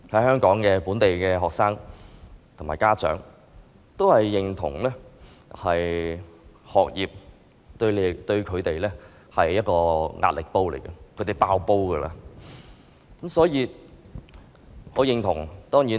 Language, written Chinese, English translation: Cantonese, 香港本地學生和家長壓倒性地認同，學業對他們而言是一個壓力煲，他們快要"爆煲"了。, Local students and parents in Hong Kong overwhelmingly agree that education is a pressure cooker to them that is about to explode